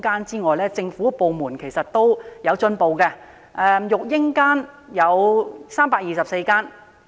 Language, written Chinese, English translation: Cantonese, 設於政府部門的育嬰間共有324間。, There are only 324 nursery rooms in government departments